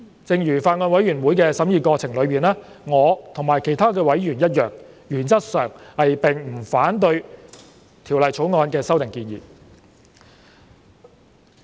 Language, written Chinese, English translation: Cantonese, 正如在法案委員會的審議過程中，我和其他委員一樣，原則上並不反對《條例草案》的修訂建議。, As with other members during the scrutiny by the Bills Committee I have no objection in principle to the proposed amendments in the Bill